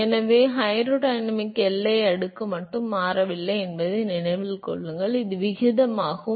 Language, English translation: Tamil, So, note that it is not just the hydrodynamic boundary layer which changes, this is the ratio